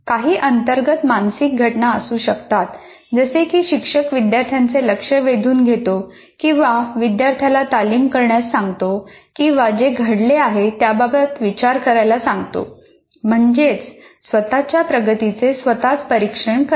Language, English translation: Marathi, But there could be internal mental events like the teacher will directly attention of the student or they make them rehearse something or reflect on what has happened or like metacognitive activity monitoring one's own progress